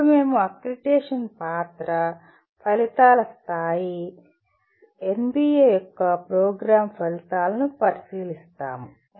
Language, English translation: Telugu, Then we look at role of accreditation, levels of outcomes, program outcomes of NBA